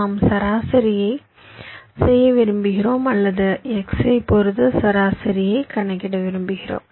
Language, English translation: Tamil, suppose we want to carry out the median or calculate the median with respect to x